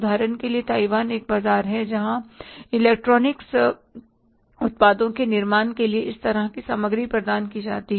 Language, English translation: Hindi, For example, Taiwan is a market which provides this kind of the material for manufacturing the electronics products